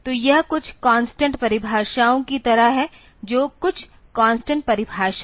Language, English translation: Hindi, So, this is something like some constant definitions; so, some constant definitions